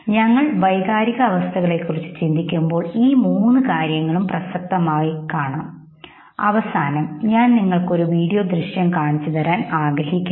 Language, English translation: Malayalam, All these three things comes into picture when we look at emotion, at the end I would like to show you a video footage